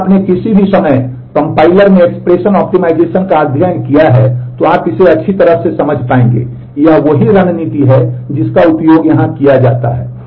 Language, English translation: Hindi, If you have studied the expression optimization in compiler at any point of time you will understand this very well, this is the same strategy which is used here